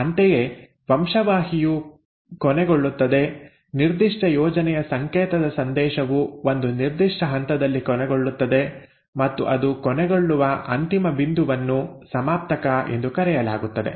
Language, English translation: Kannada, Similarly the gene will end, the code message for a particular recipe will end at a certain point and that end point where it ends is called as a terminator